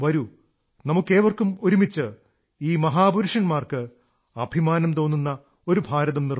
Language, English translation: Malayalam, Come, let us all strive together to build such an India, on which these great personalities would pride themselves